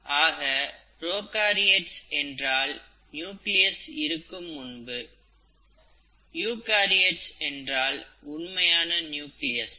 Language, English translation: Tamil, So, prokaryote, before nucleus, eukaryote, something that has a true nucleus